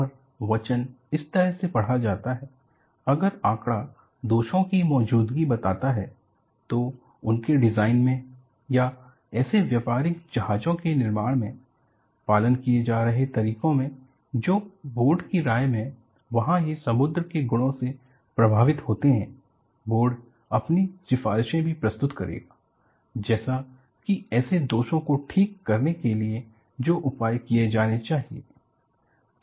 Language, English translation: Hindi, And the dictum reads like this, ‘if the fax establish the existence of defects, in their designs of or in the methods being followed in the construction of such merchant vessels, which in the opinion of the board adversely affect the sea worthiness there off; the board will also submit its recommendations, as to the measures which should be taken to correct such defects’